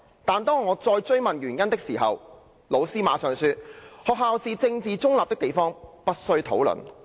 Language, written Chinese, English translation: Cantonese, '但是，當我再追問原因的時候，老師馬上說：'學校是政治中立的地方，不需討論。, But when I ask why my teacher said that the school is politically neutral and no discussion need arise on it